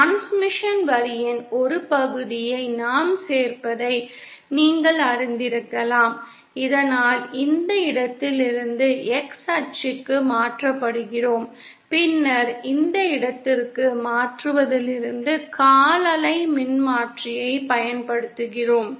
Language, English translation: Tamil, One could be you know we simply add a piece of transmission line so that we are transformed from this point to the X axis and then from transforming to this point to this the origin we use a quarter wave transformer